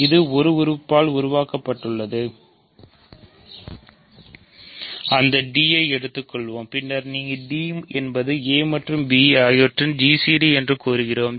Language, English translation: Tamil, So, it is generated by a single element; let us call that d, then we claim that as you guess d is a g c d of a and b